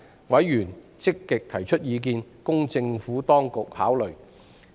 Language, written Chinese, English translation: Cantonese, 委員積極提出意見，供政府當局考慮。, Members expressed views proactively for the Administrations consideration